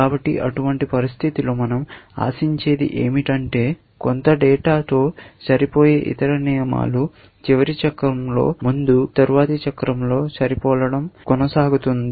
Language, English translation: Telugu, So, what we expect in such a situation is that most of the other rules, which are matching with some data, earlier in the last cycle, will continue to match in the next cycle